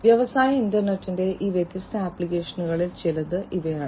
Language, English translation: Malayalam, These are some of these different applications of the industrial internet